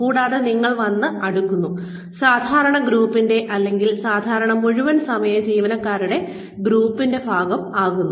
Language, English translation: Malayalam, And, so you come and sort of, become part of the regular group, or the group of, regular full time employees